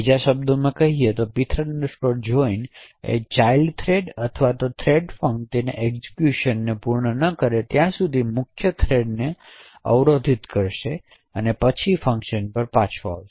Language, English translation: Gujarati, In other words, the pthread joint would block the main thread until the child thread or the threadfunc completes its execution and then the function would return